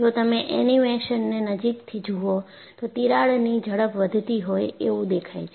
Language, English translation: Gujarati, In fact, if you have closely looked at the animation, the crack speed was increasing